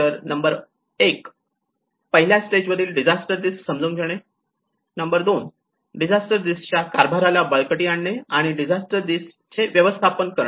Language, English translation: Marathi, Number one, understanding the disasters risk in the first stage, number 2, strengthening the disaster risk governance and the manage disaster risk